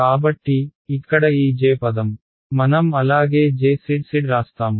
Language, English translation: Telugu, So, this J term over here I will write as J z z hat alright